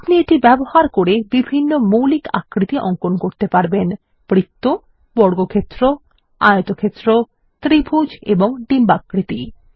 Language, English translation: Bengali, You can use it to draw a variety of basic shapes such as circles, squares, rectangles, triangles and ovals